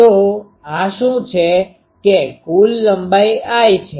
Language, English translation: Gujarati, So, what is this that the total length is l